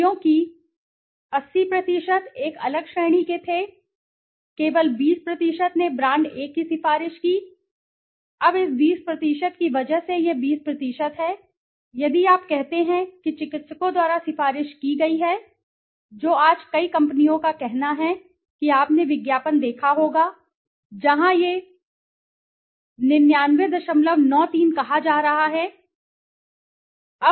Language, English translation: Hindi, Because 80% were of a different category, only 20% recommended brand A, now this 20% because of this 20% if you say that recommended by physicians which many companies today are say you must have seen advertisement where it is being said 99